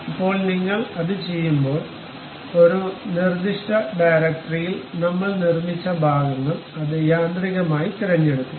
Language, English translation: Malayalam, Now, when you do that either it will automatically select the parts whatever we have constructed in a specific directory